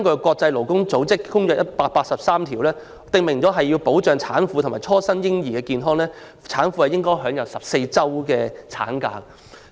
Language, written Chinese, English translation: Cantonese, 國際勞工組織第183號公約訂明，要保障產婦和初生嬰兒的健康，產婦便應享有14周產假。, As stipulated in the Convention 183 of the International Labour Organization to safeguard the health of post - natal women and new born infants post - natal women should be entitled to maternity leave of 14 weeks